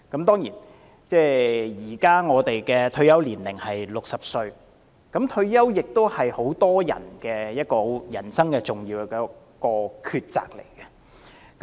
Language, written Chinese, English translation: Cantonese, 當然，現時我們的退休年齡是60歲，而對很多人來說，退休是人生的一項重要抉擇。, Certainly our present retirement age is 60 . To many people retirement is an important decision in life